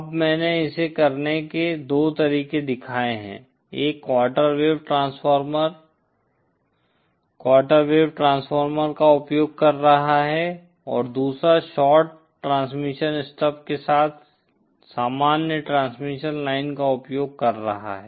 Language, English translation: Hindi, Now I have shown 2 methods of doing this, one using quarter wave transformer quarter wave transformer and the other using normal transmission lines along with shorted stubs